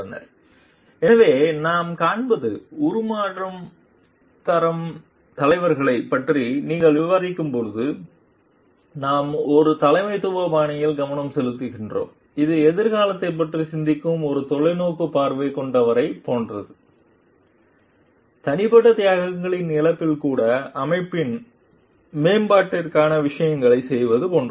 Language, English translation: Tamil, So, when what we find over here is like when you are discussing on transformational leaders we are focusing on a leadership style, which is like a more visionary who thinks of the future do things for the betterment of the organization even at the cost of personal sacrifices